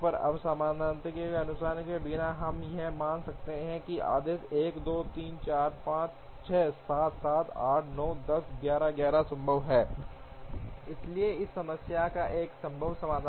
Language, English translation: Hindi, Now, without loss of generality we can assume that the order 1 2 3 4 5 6 7 8 9 10 11 is feasible, so there is a feasible solution to this problem